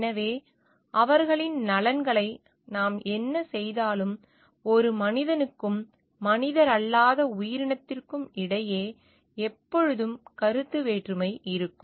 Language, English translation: Tamil, So, whatever we do their interest their always be a conflict of interest between a human and nonhuman entity